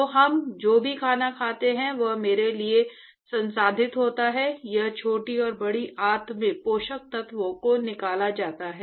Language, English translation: Hindi, So, whatever food that we eat, it is processed to me, it is the nutrients are extracted in the intestine, the small and the large intestine